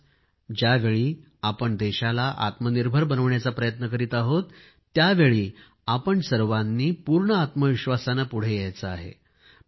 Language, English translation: Marathi, Today, when we are trying to make the country selfreliant, we have to move with full confidence; and make the country selfreliant in every area